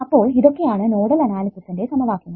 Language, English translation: Malayalam, ok, so what is my set ofnodal equations